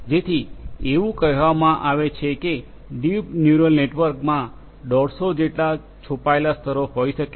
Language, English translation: Gujarati, So, it is said that the deep neural network can have up to 150 hidden layers